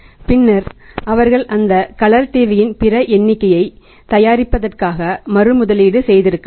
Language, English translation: Tamil, And then they could have reinvested that reinvested that for manufacturing the say other number of the colour TV’s